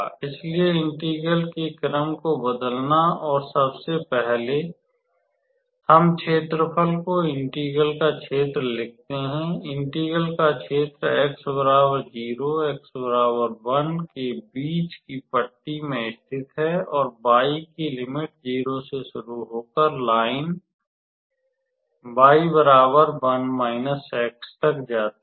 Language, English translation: Hindi, So, changing the order of integration; so first of all, we write the area the region of integration; order of integration y, the region of integration lies in the strip between x equals to 0 x equals to 1 and is determined by y values starting at 0 and increasing to the line y equals to 1 minus x